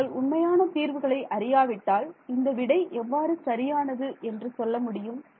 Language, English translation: Tamil, If you do not know the true solution how will you answer that person